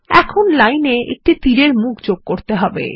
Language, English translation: Bengali, Now, let us add an arrowhead to the line